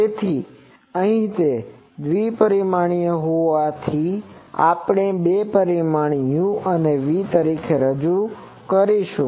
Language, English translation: Gujarati, So, here since it is two dimensional, we will introduce the two quantities u and v